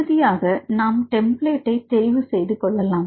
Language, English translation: Tamil, Finally you can choose the templates